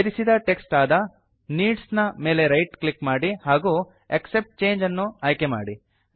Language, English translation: Kannada, Right click on the inserted text needs and select Accept Change